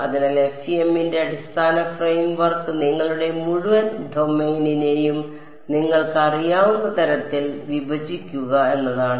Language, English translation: Malayalam, So, the basic frame work of FEM is break up your whole domain into such you know